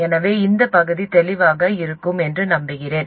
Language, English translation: Tamil, So I hope this part is clear